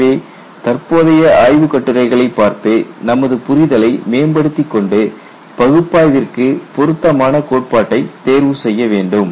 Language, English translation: Tamil, So, look at the current literature and find out what ways you can improve your understanding and take the appropriate theory for analysis